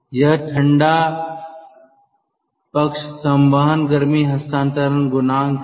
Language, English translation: Hindi, this is the cold side convective heat transfer coefficient